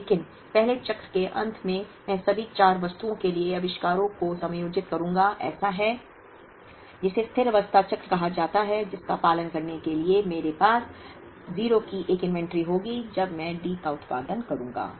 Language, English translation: Hindi, But, at the end of the first cycle, I will kind of adjust the inventories to all the four items such that, in what is called the steady state cycle that is going to follow, I would have an inventory of 0 here when I produce D